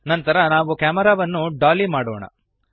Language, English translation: Kannada, Next we shall dolly the camera